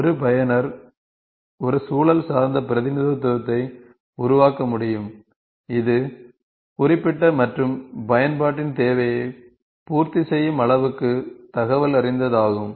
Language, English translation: Tamil, A user can create a context dependent representation, that is specific and informative enough to satisfy the requirement of the application